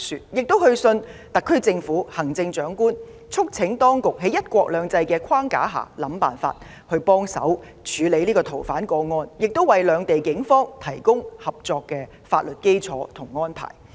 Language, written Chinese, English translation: Cantonese, 我們同時去信特區政府及行政長官，促請當局在"一國兩制"框架下設法處理這宗逃犯個案，並為兩地警方提供合作的法律基礎和安排。, In the meanwhile we wrote to the SAR Government and the Chief Executive urging the authorities to try to find a way to deal with this fugitive offender case under the framework of one country two systems and to provide a legal basis and arrangements for cooperation between the police forces of the two places